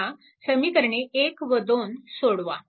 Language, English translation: Marathi, You solve equation 1 and 2